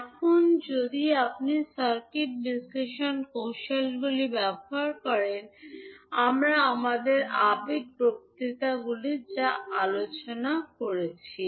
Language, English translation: Bengali, Now, you will use the circuit analysis techniques, what we discussed in our previous lectures